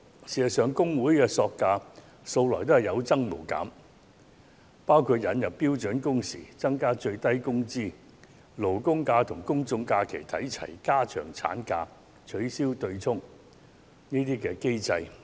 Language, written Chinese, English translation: Cantonese, 事實上，工會的索價素來有增無減，包括引入標準工時、增加最低工資、將勞工假與公眾假期看齊、增長產假、取消強制性公積金對沖機制等。, Actually the demands of trade unions have been ever - increasing . Some examples include the introduction of standard working hours the increase of the minimum wage the standardization of statutory holidays and public holidays the increase of the paternity leave duration and the abolition of the offsetting mechanism under the Mandatory Provident Fund scheme